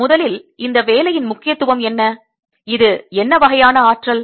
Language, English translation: Tamil, now, first, what is the significance of this work and what kind of energy is this